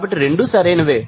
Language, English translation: Telugu, So, both are correct